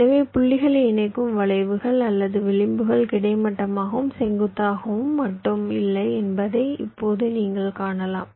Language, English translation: Tamil, so now you can see that the arcs, or the edges that are connecting the points, they are not horizontal and vertical only